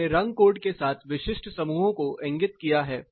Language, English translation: Hindi, I have indicated specific clusters with color codes